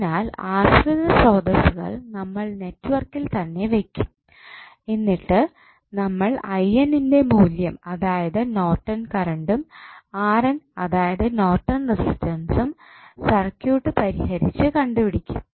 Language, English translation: Malayalam, So, we will keep the dependent sources in the network and we will solve the circuits to find out the value of I N that is Norton's current and R N that is Norton's resistance